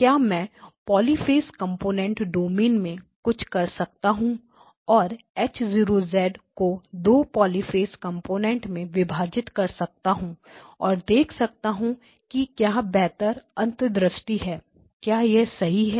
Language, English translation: Hindi, We are done poly phase components, so well you know can I do something in the poly phase component domain split H0 of Z into poly phase components into 2 poly phase components and see if there is a better insight, that is possible too right